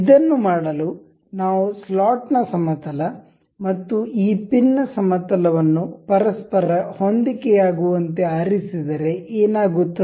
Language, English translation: Kannada, To do this what if we select coincide the plane of the slot and the plane of this pin to each other